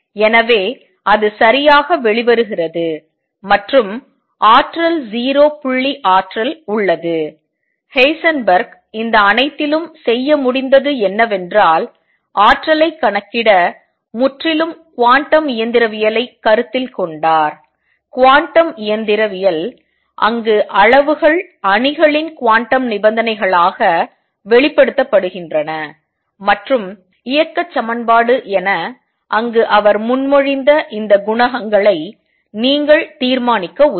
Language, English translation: Tamil, So, that comes out correctly and the energy has 0 point energy what Heisenberg has been able to do in all this is calculate the energy purely from quantum mechanical considerations, where the quantum mechanical, quantities are expressed as matrices quantum conditions and equation of motion help you determine these coefficients that he proposed